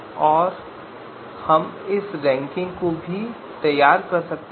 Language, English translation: Hindi, And we can also produce a ranking right